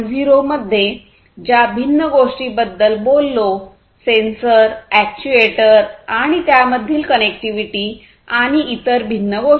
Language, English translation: Marathi, 0 context like you know sensors actuators and the connectivity between them and the different other things